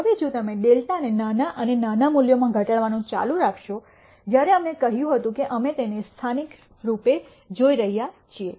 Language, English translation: Gujarati, Now, if you keep reducing delta to smaller and smaller values this is what we explained when we said we are looking at it locally